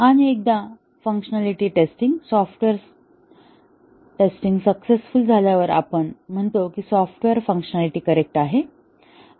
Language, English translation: Marathi, And once the functionality test does the software successfully passes then we say that the software is functionally correct